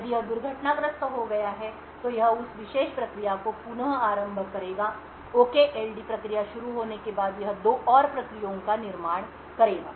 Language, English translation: Hindi, If it has crashed then it would restart that particular process, after the OKLD process starts to execute, it would create two more processes